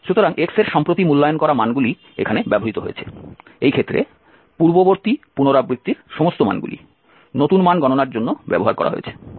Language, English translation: Bengali, So the values of x recently evaluated values are used in this case all the values from the previous iterations have been used for the computation of the new values